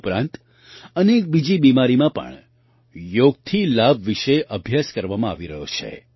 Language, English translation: Gujarati, Apart from these, studies are being done regarding the benefits of yoga in many other diseases as well